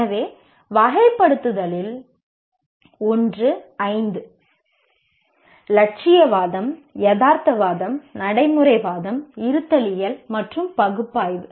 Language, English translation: Tamil, So, one kind of classification is these five, idealism, realism, pragmatism, existentialism and analysis